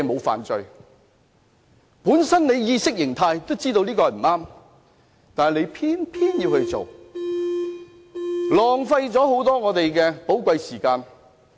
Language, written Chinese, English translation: Cantonese, 反對派議員在意識中都知道這樣不對，但仍偏偏要做，浪費了立法會很多寶貴時間。, The opposition Members are consciously aware that they are wrong but they still insist to go ahead hence wasting a great deal of precious time of the Legislative Council